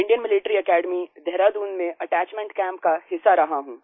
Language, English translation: Hindi, I recently was a part of the attachment camp at Indian Military Academy, Dehradun